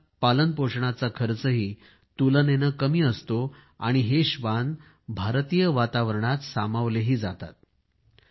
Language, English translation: Marathi, They cost less to raise and are better adapted to the Indian environment and surroundings